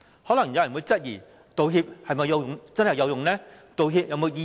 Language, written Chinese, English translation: Cantonese, 可能有人會質疑，道歉是否真的有用？道歉有否意義？, Some people may question if making an apology is really useful and they also wonder if an apology can be of any meaning at all